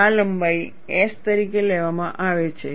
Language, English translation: Gujarati, This length is taken as S